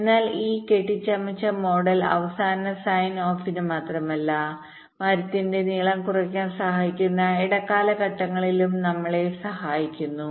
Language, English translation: Malayalam, so this bounded skew model helps us not only for the final signoff but also during intermediate steps that can help in reducing the length of the tree